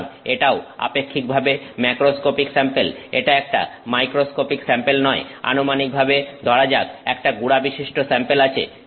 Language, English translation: Bengali, So, that is also relatively macroscopic sample, it is not a microscopic sample as supposed to say having a powder sample